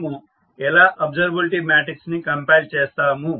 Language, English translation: Telugu, How we compile the observability matrix